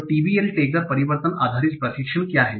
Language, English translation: Hindi, So what is TBL tagger, transformation based learning